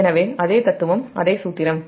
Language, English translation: Tamil, so same same philosophy, same formula